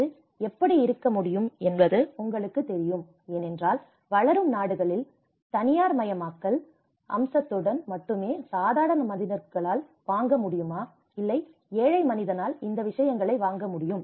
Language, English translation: Tamil, You know how it can be because in a developing countries only with the privatization aspect whether the common man can afford, the poor man can afford these things